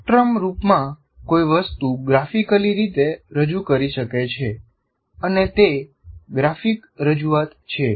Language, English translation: Gujarati, Now one can graphically represent something in the form of a spectrum